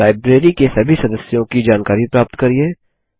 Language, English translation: Hindi, Get information about all the members in the Library